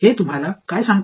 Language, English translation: Marathi, What does that tell you